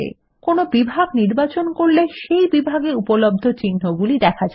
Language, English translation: Bengali, Choosing any category displays the available symbols in that category